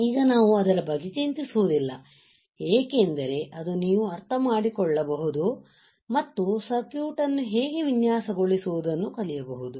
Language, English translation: Kannada, Now, we do not worry about it because that is another part where you can understand and learn how to design the circuit